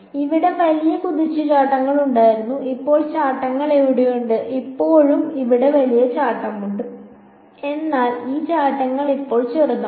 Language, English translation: Malayalam, Here there were big jumps over here now the jumps are there is still one big jump over here, but these jumps are now smaller